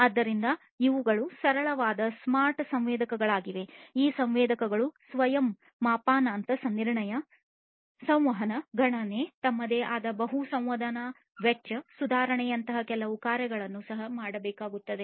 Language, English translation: Kannada, So, these are the simple smart sensors these sensors will also have to do certain functionalities like self calibration, communication, computation, multi sensing cost improvement of their own, and so on